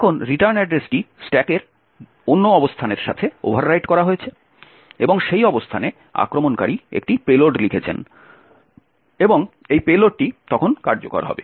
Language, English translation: Bengali, Now the return address is overwritten with another location on the stack and in that location the attacker has written a payload and this payload would then execute